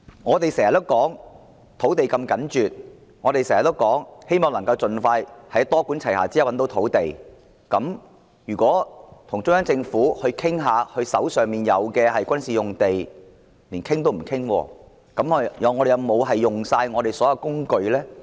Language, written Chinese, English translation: Cantonese, 我們經常說土地供應如此緊絀，希望以多管齊下的方式覓得土地，如果與中央政府商討他們手上的軍事用地亦不可，連商討也不能的話，那麼我們有否用盡所有工具呢？, We often say that the land supply is so tight and hope to identify land through a multi - pronged approach if we cannot negotiate with CPG on the disposal of the military sites in their hands have we exhausted all the means when mere negotiation is impossible?